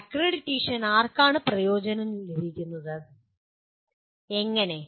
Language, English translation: Malayalam, Who is benefited by accreditation and how